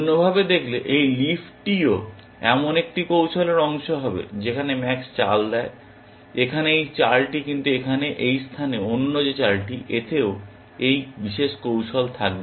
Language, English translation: Bengali, Alternatively, this leaf will also be part of a strategy where max makes that move, this move here, but the other move at this place here, that also will contain this particular strategy